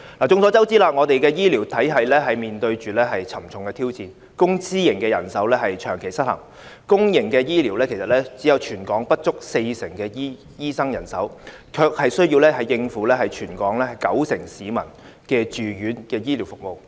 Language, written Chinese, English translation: Cantonese, 眾所周知，我們的醫療體系面對沉重的挑戰，公私營人手長期失衡，公營醫療系統只有全港不足四成的醫生人手，卻需要應付全港九成市民的住院醫療服務。, Everyone knows that our healthcare system is facing a serious challenge . There has been a long - standing imbalance in the distribution of manpower between the public and private healthcare sectors . Less than 40 % of the doctors are working in the public healthcare system but they have to provide hospital care services for 90 % of the people in Hong Kong